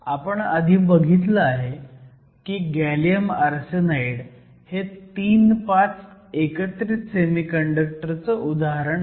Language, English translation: Marathi, We saw earlier that gallium arsenide is an example of III V compound semiconductor